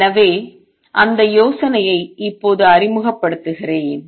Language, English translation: Tamil, So, let me introduce that idea now